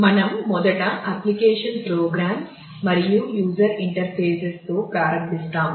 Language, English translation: Telugu, So, we first start with application programs and user interfaces